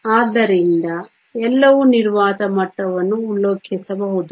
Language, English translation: Kannada, So, everything can be reference to the vacuum level